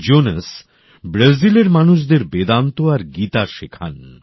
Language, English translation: Bengali, Jonas teaches Vedanta & Geeta to people in Brazil